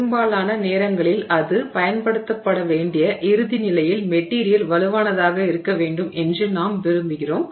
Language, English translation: Tamil, So, most of the time we want the material to be strong in the final state that it is being put to use in